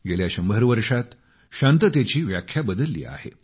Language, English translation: Marathi, The definition of peace has changed in the last hundred years